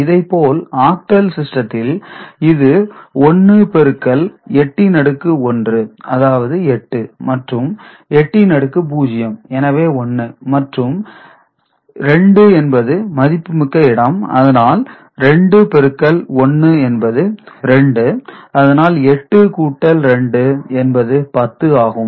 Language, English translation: Tamil, Similarly, in octal it is 1 into 8 to the power 1 that is 8 right and 8 to the power 0 is 1, and 2 is a valid digit, so 2 into 1 is 2, so 8 plus 2 it was 10